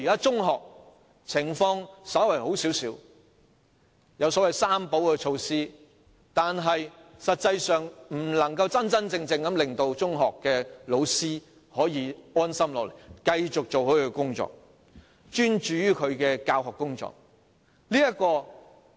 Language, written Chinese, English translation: Cantonese, 中學的情況稍為好一些，有所謂"三保"措施，但實際上卻不能真正令中學教師安心，繼續專注於他們的教學工作。, The situation in secondary schools is slightly better . There are the so - called targeted relief measures but actually they are unable to make secondary school teachers really feel assured and stay focused on their teaching work